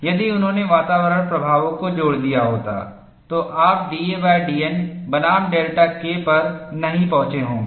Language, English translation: Hindi, If he had combined the environmental effects, you would not have arrived at d a by d N versus delta K